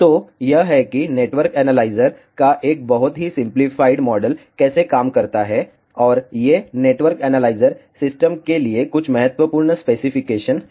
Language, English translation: Hindi, So, this is how a very simplified model of network analyzer works and these are some important specifications for a network analyzer system